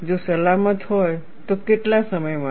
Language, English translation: Gujarati, If safe for how long